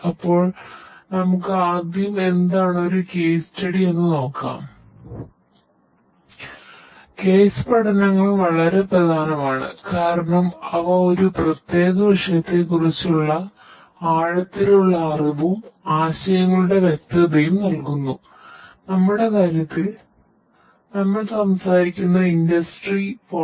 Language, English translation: Malayalam, So, case studies are very important because they provide in depth knowledge and clarity of concepts on a particular topic and in our case we are talking about the industry 4